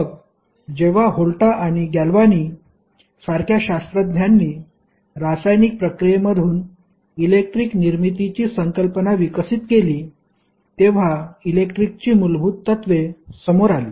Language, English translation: Marathi, So, basically when the the scientists like Volta and Galvani developed the concept of getting electricity generated from the chemical processes; the fundamentals of electricity came into the picture